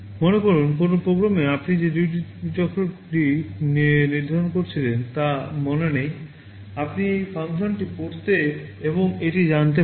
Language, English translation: Bengali, Suppose, in a program you do not remember what was the duty cycle you had set, you can call this function read and know that